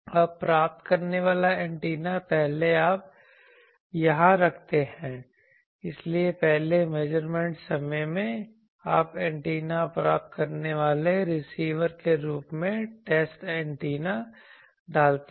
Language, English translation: Hindi, Now, in the receiving antenna first you put here, so the first measurement time you put the test antenna as receiver receiving antenna